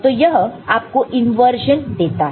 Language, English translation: Hindi, So, that is also giving you an inversion